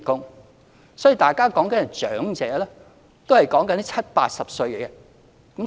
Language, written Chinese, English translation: Cantonese, 由此可見，大家談論的長者也是70歲、80歲。, It is evident that Members are referring to people aged between 70 and 80 as elderly